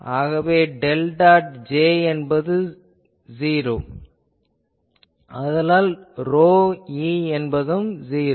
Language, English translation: Tamil, So, del dot J is 0 that gives this implies that rho e is 0